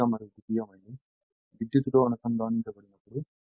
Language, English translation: Telugu, When the when the primary and secondary winding are electrically connected